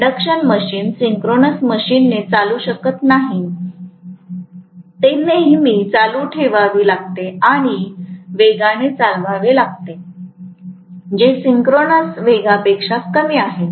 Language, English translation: Marathi, Induction machine cannot run at synchronous speed, it has to run at always or speed, which is less than synchronous speed